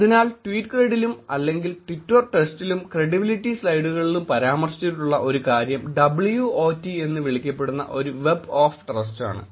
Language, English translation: Malayalam, So, one thing that was also mentioned in the tweetcred or the twitter trust and credibility slides is a Web of Trust that is called WOT